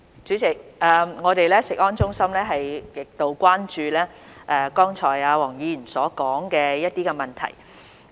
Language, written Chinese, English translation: Cantonese, 主席，我們的食安中心極度關注黃議員剛才所說的一些問題。, President our CFS is extremely concerned about the issues just mentioned by Mr WONG